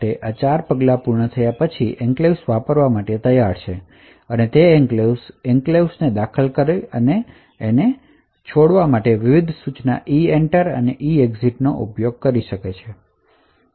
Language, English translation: Gujarati, So, after these 4 steps are done the enclave is ready to use and then the application could actually use various instruction EENTER and EEXIT to enter and leave the enclave